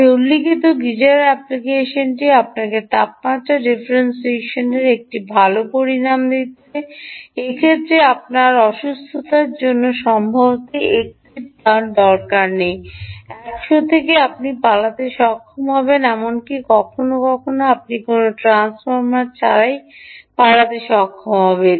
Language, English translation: Bengali, the geyser application i mentioned is giving you a good amount of temperature differential, in which case you will perhaps not need a one is to hundred, you will be able to get away, ah, even sometimes you may even be able to get away without any transformer